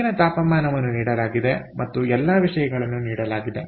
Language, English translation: Kannada, ok, the outside temperature is given and all that stuff